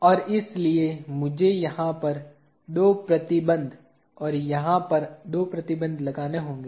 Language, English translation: Hindi, And therefore, I have to apply two restraints over here and two restraints over here